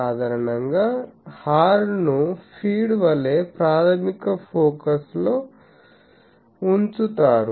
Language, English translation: Telugu, Generally, the horn is placed at the primary focus as a feed